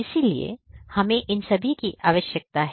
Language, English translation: Hindi, So, we need all of these